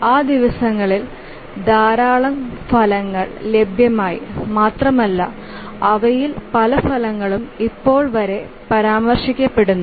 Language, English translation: Malayalam, Lot of results became available during those days and many of those results are even referred till now